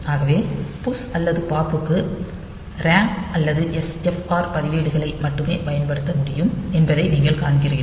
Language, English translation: Tamil, So, you see that can only the we can only specify RAM or SFR registers to push or pop